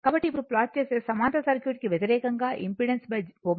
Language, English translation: Telugu, So, now if you plot now just opposite for parallel circuit impedance by omega